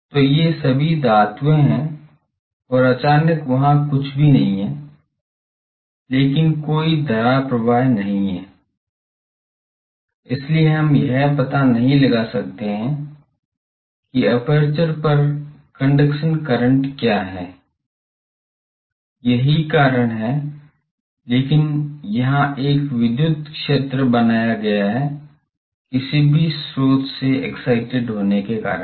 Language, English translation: Hindi, So, these are all metals and suddenly there is nothing there, so there is no conduction current, so we cannot find out the what is a conduction current on an aperture that is why is, but there is an electric field created here, because of whatever source excited that is